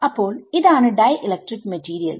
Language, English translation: Malayalam, So, for dielectric material